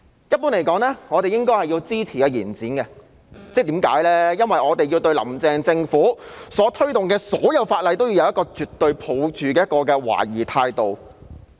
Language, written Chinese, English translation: Cantonese, 一般而言，我們是應該支持延展的，因為我們要對"林鄭"政府推動的所有法例也抱着絕對懷疑的態度。, Generally speaking we should support the extension because we should treat legislation put forth by the Carrie LAM Government with absolute scepticism